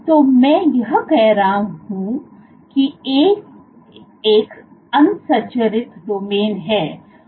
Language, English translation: Hindi, So, what I am saying is A is an unstructured domain